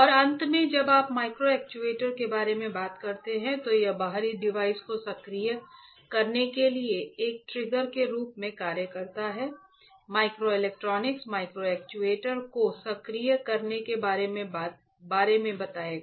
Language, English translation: Hindi, And finally, when you talk about microactuators, then it acts as a trigger to activate external device microelectronics will tell microactuators to when to activate